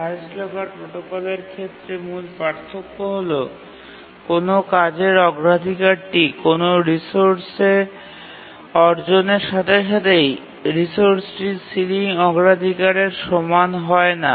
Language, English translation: Bengali, And the main difference with respect to the highest locker protocol is that a task's priority does not become equal to the ceiling priority of the resource as soon as it acquires a resource